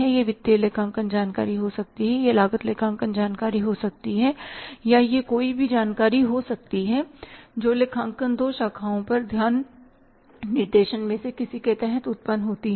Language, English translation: Hindi, It can be financial accounting information it can be cost accounting information or it can be maybe any information which is generated under the any of the two branches of accounting and attention directing